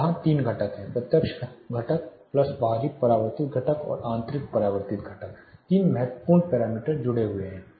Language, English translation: Hindi, So, there are three components here direct component plus external reflected component plus internal reflected component three important parameters are associated